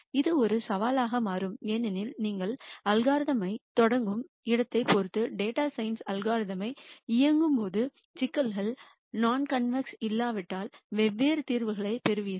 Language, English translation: Tamil, This becomes a challenge because when you run a data science algorithm depending on where you start the algorithm you will get di erent solutions if the problems are non convex